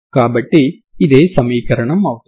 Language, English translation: Telugu, So, what is the equation